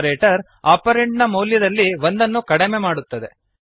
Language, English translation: Kannada, The operator decreases the existing value of the operand by one